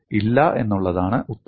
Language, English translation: Malayalam, The answer is only no